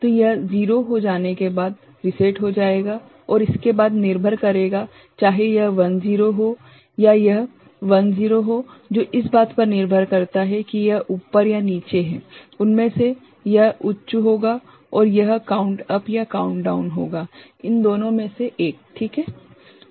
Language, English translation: Hindi, So, it will get reset after that is becomes 0 and after that depending on whether this one is 1 0 or this one is 1 0 depending on that this up or down, one of them will be high and this will be count up or count down one of these two, ok